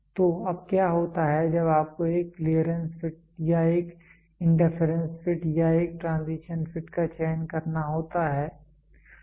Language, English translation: Hindi, So, what happens is now when you have to choose a clearance fit or an interference fit or a transition fit